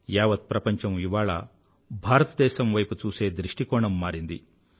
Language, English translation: Telugu, Today the whole world has changed the way it looks at India